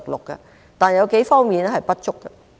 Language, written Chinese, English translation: Cantonese, 不過，有幾方面仍然不足。, Nevertheless the Budget is still inadequate in a number of areas